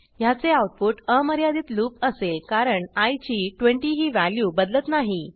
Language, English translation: Marathi, The result will be an infinite loop, since the value of i will not change from 20